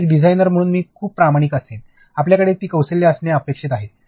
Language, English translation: Marathi, Yes, you as a designer I will be very honest, you are expected to have these skills